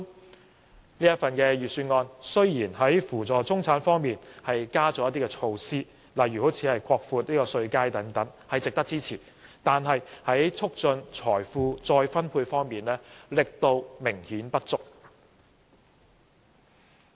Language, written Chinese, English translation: Cantonese, 雖然這份預算案在扶助中產方面增加了一些措施，例如擴闊稅階等，值得支持，但在促進財富再分配方面，力度明顯不足。, Although this Budget has introduced measures for assisting the middle class such as expanding the tax band which is worthy of support it has evidently made inadequate efforts in promoting the redistribution of wealth